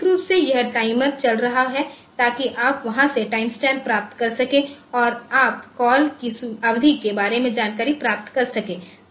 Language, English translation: Hindi, So, internally this timer is running so you can get the timestamps from there and you can get an information about the duration of the call